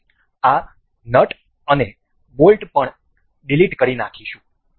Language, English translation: Gujarati, We will delete this nut and the bolt as well